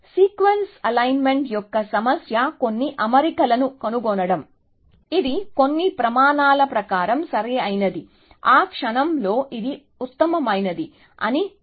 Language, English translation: Telugu, So, the problem of sequence alignment is to find, some alignment, which is optimal according to some criteria will define that in the moment, which is the best essentially